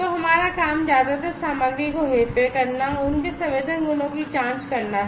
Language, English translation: Hindi, So, our job is mostly to manipulate the materials check their sensing properties